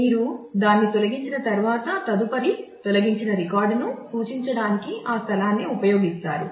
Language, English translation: Telugu, And once you delete it you use that space itself to point to the next deleted record